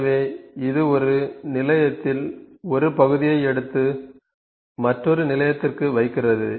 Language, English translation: Tamil, So, it picks a part up at one station and places on to another station